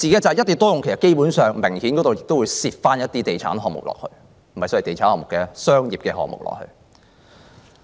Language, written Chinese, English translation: Cantonese, 在"一地多用"下，其實明顯地亦會夾雜一些地產項目，或不全是地產項目，該是商業項目。, Under the single site multiple use initiative development projects will clearly include real estate projects perhaps not completely real estate projects but commercial projects